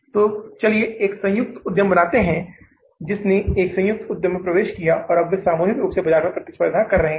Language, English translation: Hindi, So they entered into a joint venture and now they are collectively they are competing in the market